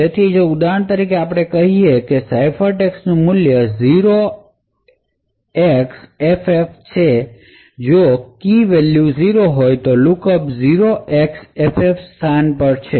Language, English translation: Gujarati, So, for example if let us say the ciphertext has a value say 0xFF if the key value was 0, lookup is to the location 0xFF